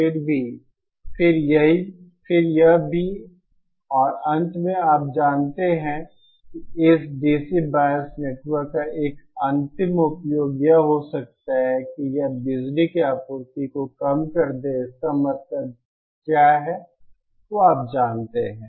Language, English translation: Hindi, Then it also and finally you know one final use of this DC bias network could be it implements power supply decoupling what it means is that any you know